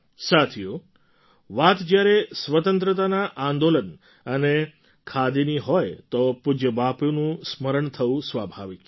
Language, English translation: Gujarati, Friends, when one refers to the freedom movement and Khadi, remembering revered Bapu is but natural